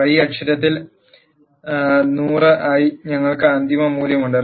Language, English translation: Malayalam, We have the final value here on the y axis as 100